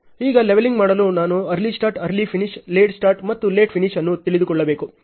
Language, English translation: Kannada, Now, for doing the leveling I need to know the early starts, early finish, late start and late finish